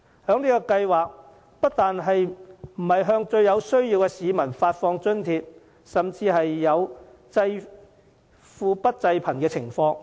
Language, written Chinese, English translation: Cantonese, 這計劃不但沒有向最有需要的市民發放津貼，甚至出現濟富不濟貧的情況。, That scheme not only fails to offer any subsidy to the most needy it could even give rise to situations where the rich are subsidized but not the poor